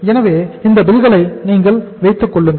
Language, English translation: Tamil, So you keep these bills with you